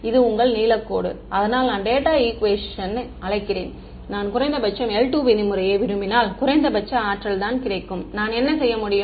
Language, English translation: Tamil, That is your blue line; so, I am calling at the data equation ok and if I want minimum l 2 norm that is minimum energy then what I can do